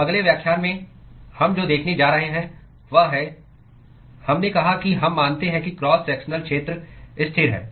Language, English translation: Hindi, So, in the next lecture, what we are going to see is: we said we assume that the cross sectional area is constant